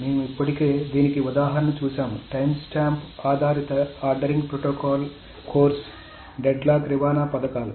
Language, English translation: Telugu, So we have already seen an example of this, the timestant based ordering protocols are of course deadlock prevention schemes